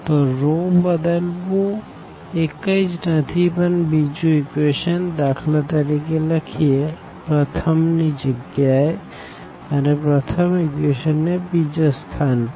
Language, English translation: Gujarati, So, changing this row is nothing, but just the writing the second equation for example, at the first place and the first equation at the second place